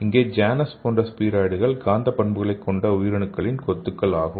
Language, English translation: Tamil, So in this case a Janus like spheroids so spheroids are the clumps of cells and it is also having the magnetic properties